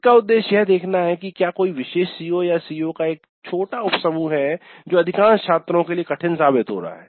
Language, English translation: Hindi, The idea of this is to see if there is any particular COO or a small set of subset of COs which are proving to be difficult for a majority of the students